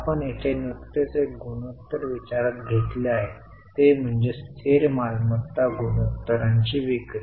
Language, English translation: Marathi, We have just considered one ratio here that is sales to fixed assets ratio